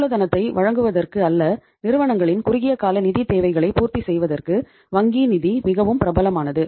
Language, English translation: Tamil, It is the bank finance which is most popular for providing the working capital or fulfilling the short term financial requirements of the firms